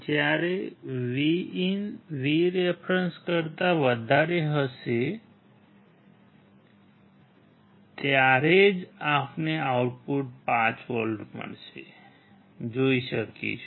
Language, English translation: Gujarati, When VIN will be greater than VREF, then only we can see the output +5V